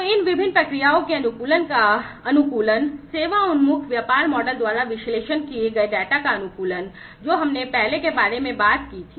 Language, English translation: Hindi, So, optimizing of optimization of these different processes; optimization of the data that is analyzed by the service oriented business model, that we talked about earlier